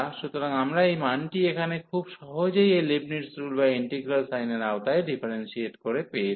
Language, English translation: Bengali, So, we got this value here by using this Leibnitz rule or the differentiation under integral sign very quite easily